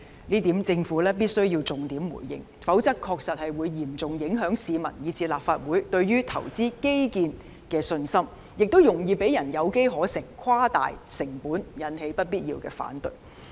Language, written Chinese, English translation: Cantonese, 這點政府必須重點回應，否則會嚴重影響市民和立法會對於投資基建的信心，亦容易讓人有機可乘，誇大成本，引起不必要的反對。, The Government must give a pertinent reply to this point . Otherwise the confidence of the public and the Legislative Council in the Governments ability to take forward infrastructure investments will be seriously affected . It will also make it easier for people to take advantage of it to exaggerate costs thus causing unnecessary opposition